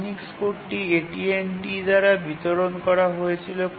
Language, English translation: Bengali, Whoever wanted the Unix code was distributed by AT&T